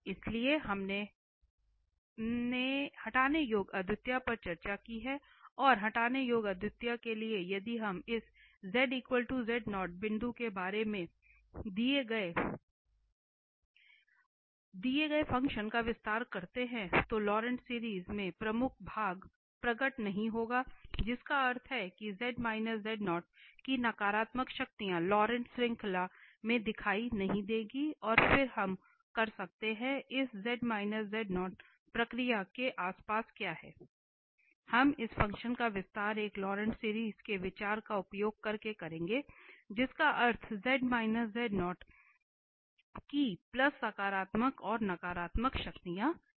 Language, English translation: Hindi, So, the first we have discussed this removable singularity and for the removable singularity if we expand the given function about this z equal that z naught point then in the Laurent series the principal part will not appear that means the negative power of z minus z naught will not appear in the Laurent series and then we can so what is the process that around this z equal to z naught we will expand this function using this the idea of a Laurent series that means the plus positive and the negative powers of z minus z naught